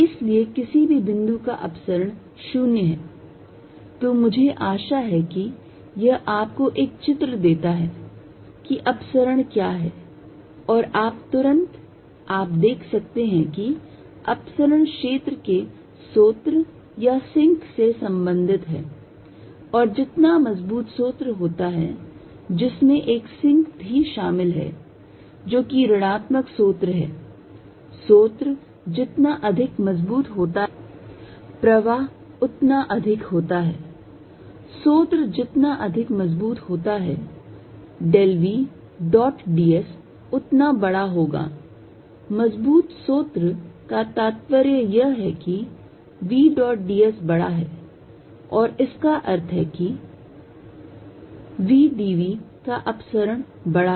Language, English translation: Hindi, So, divergent of any point is 0, so I hope this gives you a picture of what divergence is and divergence immediately you can see is related to source or sink of the field and stronger the source which also includes a sink, which is negative source, stronger to the source more the flow, stronger the source del v dot d s will be larger, stronger the source implies v dot d s larger and this implies divergence of v d v is larger